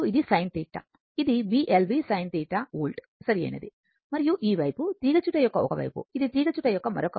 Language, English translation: Telugu, This is B l v sin theta volts right and this side is the one side of the coil, this is another side of the coil